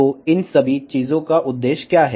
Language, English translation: Hindi, So, what is the purpose of all of these thing